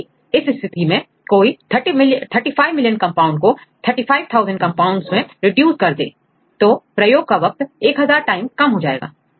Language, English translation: Hindi, So, in this case how to do it; so among these 35 million compounds if someone can reduce to 35000 compounds, then the number of experiments will be reduced by one 1000 times